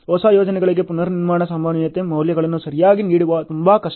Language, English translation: Kannada, For new projects it is very difficult to give the rework probability values ok